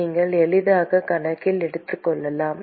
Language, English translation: Tamil, You can easily take into account